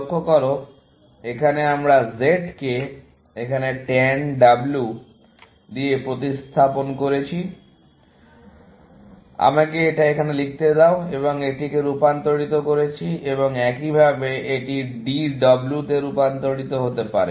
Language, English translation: Bengali, Notice that here, we have replaced something like Z equal to tan W, let me write it here, and transformed into this, and likewise, this can get transformed into d w